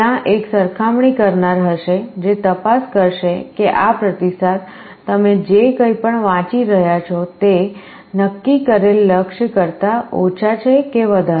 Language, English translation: Gujarati, There will be a comparator, which will be checking whether this feedback, whatever you are reading is less than or greater than the set goal